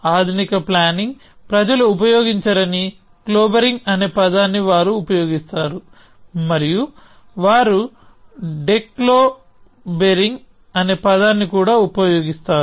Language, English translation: Telugu, They use the term clobbering which modern planning people do not use, and they also use the term declobbering